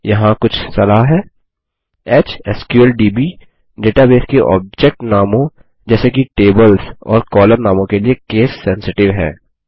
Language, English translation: Hindi, Here are some tips: HSQLDB is case sensitive with its Database object names, such as tables and column names